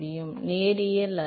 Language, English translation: Tamil, Yeah, it is not necessarily linear